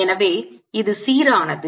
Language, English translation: Tamil, so this is consistent